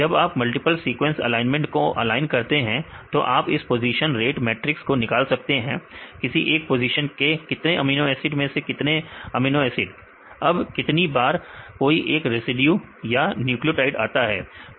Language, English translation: Hindi, When you align the multiple sequence alignment form that you can derive this position weight matrix; how many amino acids among the how many amino acids for same position, now how many times each residue or nucleotide occurs right